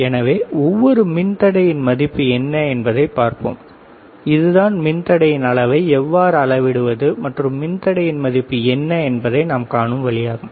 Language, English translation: Tamil, So, we will see what is the value of each resistor ok, this is the idea that we see how we can measure the resistance and what is the value of these resistors